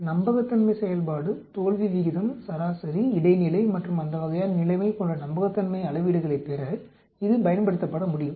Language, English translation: Tamil, It can be used to derive reliability metrics such as reliability function, failure rate, mean, median and that sort of situation